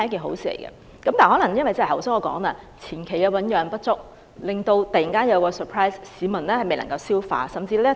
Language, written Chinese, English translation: Cantonese, 但是，正如我剛才所說，由於政策前期醞釀不足，突然有這樣一個 surprise， 市民未能消化。, However as I said just now owing to the limited time to develop this policy before its announcement the public are surprised and the policy is not well received